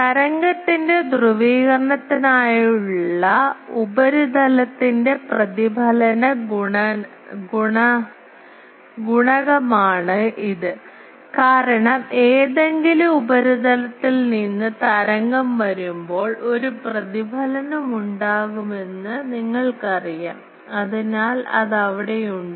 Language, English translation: Malayalam, It is a reflection coefficient of the surface for the polarization of the wave because you know that when the wave come from any surface there will be a reflection, so it is there